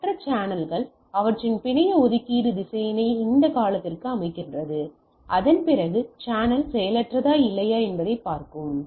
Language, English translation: Tamil, So, based on that sensing, the other channels way set their network allocation vector to that time period after which it will look that whether the channel is idle or not right